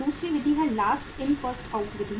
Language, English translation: Hindi, Second method is Last In First Out Method